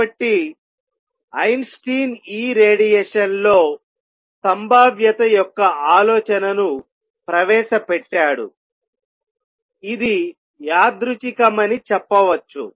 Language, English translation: Telugu, So, Einstein introduced the idea of probability in this radiation, let us say it is random